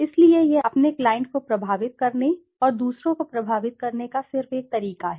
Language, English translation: Hindi, So, this just is one way to influence your client, to impress your client and to influence others